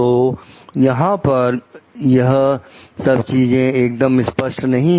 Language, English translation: Hindi, So, these things were not very clear from here